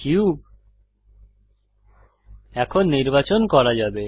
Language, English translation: Bengali, The cube can now be selected